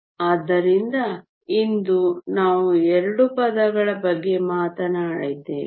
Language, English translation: Kannada, So, today we have talked about 2 terms